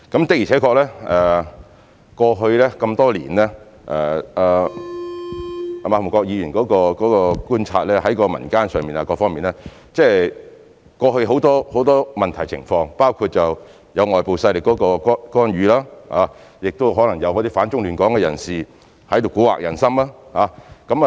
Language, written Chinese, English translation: Cantonese, 的確過去這麼多年來，正如馬逢國議員對於民間和各方面所觀察得到，過去有很多問題和情況，包括有外部勢力干預，亦可能有反中亂港的人士在這裏蠱惑人心。, It is true that over the past years as Mr MA Fung - kwok has observed in the community and from various aspects there were many problems and situations in the past including the interference of external forces and the possible attempts of anti - China and destabilizing forces in Hong Kong to mislead the public with ill intentions